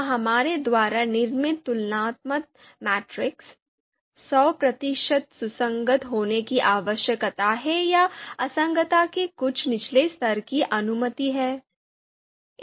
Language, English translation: Hindi, Do we need to be, these comparison you know matrices that we need to construct, do they need to be hundred percent consistent or some level of some lower level of inconsistency is allowed